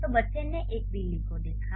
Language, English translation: Hindi, So the child saw a cat